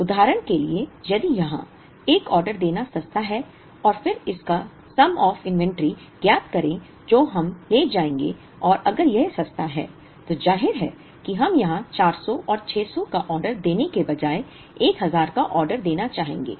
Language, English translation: Hindi, For example, if it is cheaper to place 1 order here and then find out the sum of the inventories that we will carry and if it is cheaper, then obviously we would like to order 1000 here, rather than ordering a 400 and a 600